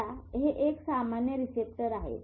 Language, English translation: Marathi, This is a typical receptor